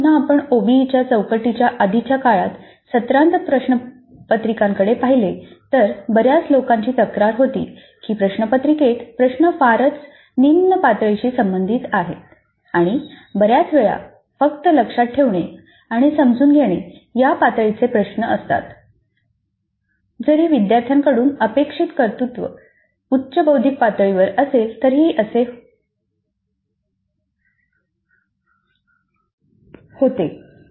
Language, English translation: Marathi, In fact again if you look into the semester and question papers in the earlier times before the OBA framework, many of the people complain that the question papers have questions all related to very low cognitive levels of remember and sometimes only remember and understand even though the expected competencies from the student are at higher cognitive levels